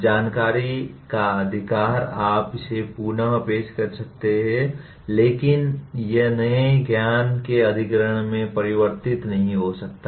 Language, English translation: Hindi, Possession of information you may reproduce it but that may not translate into acquisition of new knowledge